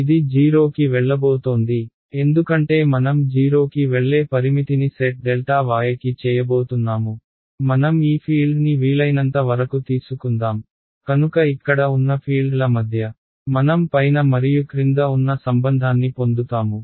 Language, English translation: Telugu, It is going to go to 0, because I am going to set the take the limit that delta y is going to 0 I want to squeeze this field as much as possible so I get a relation between the fields here just above and just below